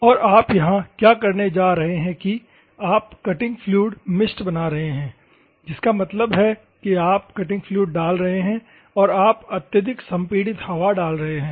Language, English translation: Hindi, So, what you are going to do here is you are making the cutting fluid mist; that means, that you are putting a cutting fluid and your putting the highly compressed air